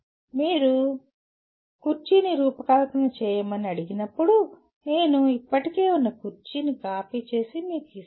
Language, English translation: Telugu, When you are asked to design a chair, I may exactly copy an existing chair and give you that